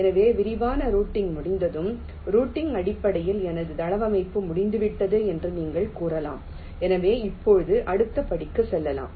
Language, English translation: Tamil, so once detailed routing is done, you can say that, well, my layout in terms of routing is complete, so now i can move on to the next step